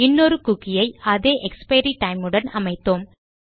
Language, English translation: Tamil, Weve set another cookie with the same expiry time